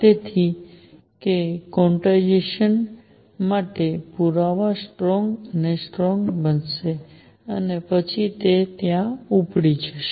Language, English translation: Gujarati, So, that the evidence for quantization becomes stronger and stronger and then will take off from there